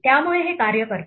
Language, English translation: Marathi, So this works